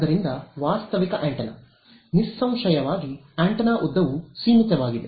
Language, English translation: Kannada, So, realistic antenna is; obviously, some an antenna where the length is finite ok